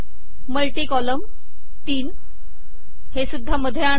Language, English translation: Marathi, Multi column, three, also to be center aligned